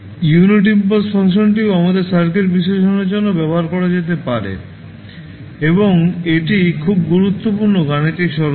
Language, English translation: Bengali, Similar to that also the unit impulse function can also be utilized for our circuit analysis and it is very important mathematical tool